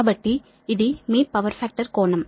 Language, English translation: Telugu, so this is that your power factor angle